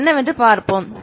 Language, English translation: Tamil, We will see what it is